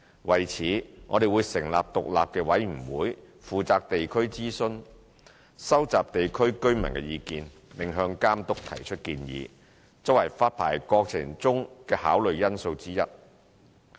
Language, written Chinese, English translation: Cantonese, 為此，我們會成立獨立委員會負責地區諮詢，收集地區居民的意見，並向監督提出建議，作為發牌過程中的考慮因素之一。, To this end we will set up an independent panel to collect views submitted by affected residents and make recommendations to the Authority which will become one of the factors which the Authority may take into account in the licensing process